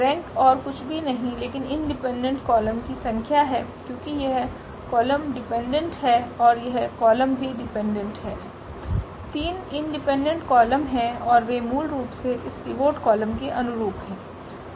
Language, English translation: Hindi, The rank is nothing but the number of independent columns in because this column is dependent and this column also dependent, there are 3 independent columns and they basically correspond to this pivot column